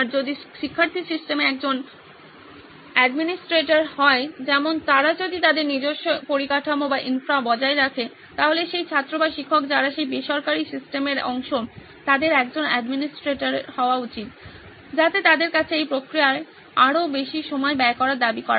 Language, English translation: Bengali, If the student is a administrator in the system like if they are maintaining their own infra, the student or the teacher who is part of that private system should be an administrator, so which is demanding them to have, invest more time into this process